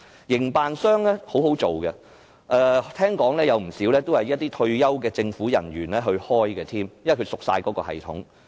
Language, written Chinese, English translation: Cantonese, 營辦商是很好做的，聽說不少也是由退休政府人員經營，因為他們很熟悉相關系統。, It is easy to be a contractor . I have heard that many of them are run by retired government officials who are well versed in the relevant systems